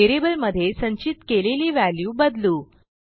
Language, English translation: Marathi, Now let us change the value stored in the variable